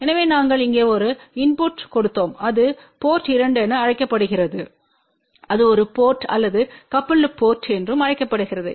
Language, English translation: Tamil, So, we had giving a input here this is known as port 2 which is a through put or also known as coupled port